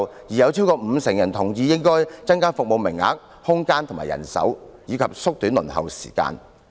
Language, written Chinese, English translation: Cantonese, 有超過五成受訪者同意應該增加服務名額、空間和人手，以及縮短輪候時間。, More than 50 % of the respondents agree that the service quotas space and manpower should be increased and the waiting time should be shortened